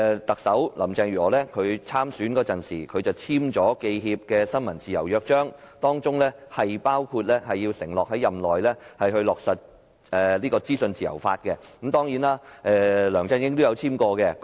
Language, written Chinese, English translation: Cantonese, 特首林鄭月娥在競選時簽署了香港記者協會的新聞自由約章，包括承諾在任內落實資訊自由法，而梁振英亦曾簽署該約章。, Chief Executive Mrs Carrie LAM signed the press freedom charter with the Hong Kong Journalists Association during her candidature which included her pledge to implement the legislation on freedom of information during her tenure while LEUNG Chun - ying had also signed that charter